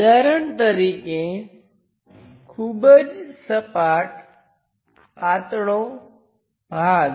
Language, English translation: Gujarati, For example, a very flat thin part